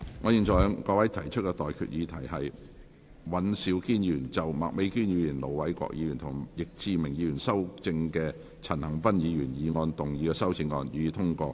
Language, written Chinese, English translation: Cantonese, 我現在向各位提出的待議議題是：尹兆堅議員就經麥美娟議員、盧偉國議員及易志明議員修正的陳恒鑌議員議案動議的修正案，予以通過。, I now propose the question to you and that is That Mr Andrew WANs amendment to Mr CHAN Han - pans motion as amended by Ms Alice MAK Ir Dr LO Wai - kwok and Mr Frankie YICK be passed